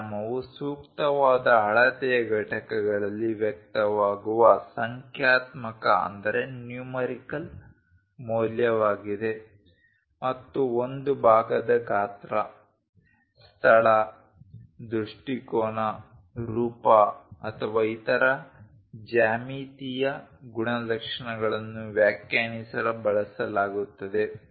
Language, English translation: Kannada, A dimension is a numerical value expressed in appropriate units of measurement and used to define the size location, orientation, form or other geometric characteristics of a part